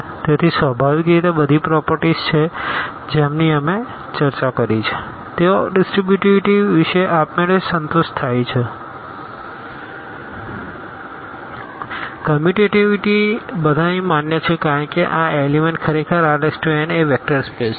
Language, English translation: Gujarati, So, naturally all the properties which we discussed, they are satisfied automatically about this distributivity, commutativity all are valid here because these elements actually belong to R n; R n is a vector space